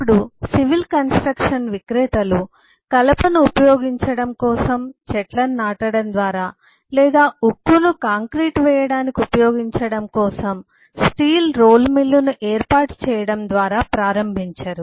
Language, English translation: Telugu, now, no civil construction vendor would start by planting trees so that timber can be used, or by setting a steel roll mill so that the steel can be used in casting the concrete, and so and so what you will do